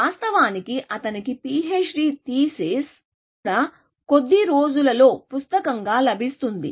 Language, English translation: Telugu, In fact, his PHD thesis is also available as a book at some point of time